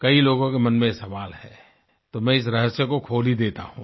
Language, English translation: Hindi, Many people have this question in their minds, so I will unravel this secret